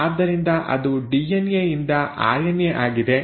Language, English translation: Kannada, So that is DNA to RNA